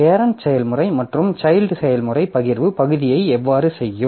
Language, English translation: Tamil, So how the parent process and child process will do the sharing part